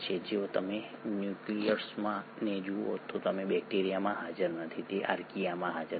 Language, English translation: Gujarati, If you were to look at the nucleus, it is not present in bacteria, it is not present in Archaea